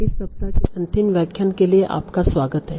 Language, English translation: Hindi, Welcome back for the final lecture of this week